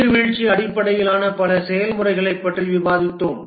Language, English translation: Tamil, We discussed several waterfall based processes